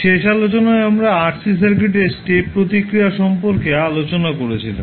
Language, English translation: Bengali, In last class we were discussing about the step response of RC circuits